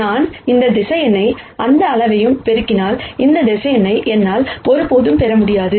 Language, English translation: Tamil, If I multiply this vector by any scalar, I will never be able to get this vector